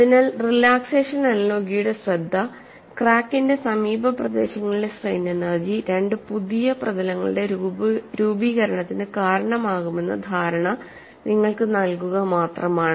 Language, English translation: Malayalam, So, the focus of relaxation analogy was only to give you an impression that strain energy in the neighbourhood of the crack would have contributed to the formation of the two new surfaces